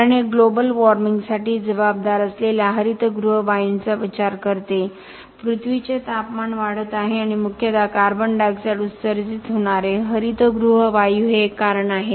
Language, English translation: Marathi, Because this takes into account the greenhouse gasses responsible for global warming, the temperature of the earth is going up and one of the reasons are greenhouse gasses emitted mainly carbon dioxide